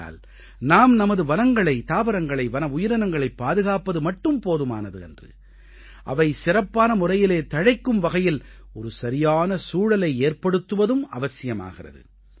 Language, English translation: Tamil, Therefore, we need to not only conserve our forests, flora and fauna, but also create an environment wherein they can flourish properly